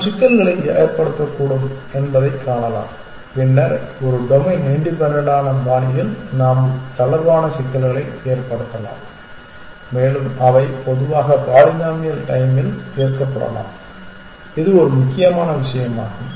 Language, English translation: Tamil, We can see that we can pose problems and then we can pose relaxed problems in a domain independent fashion and they can be solved typically in polynomial time that is a key thing